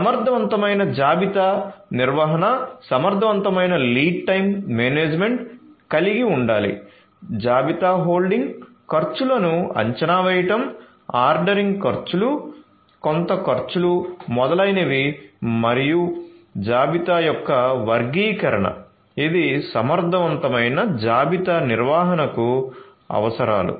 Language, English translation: Telugu, So, effective inventory management should have effective lead time management, estimating the inventory holding costs, ordering costs, shortage costs etcetera and classification of inventories these are the requirements for effective inventory management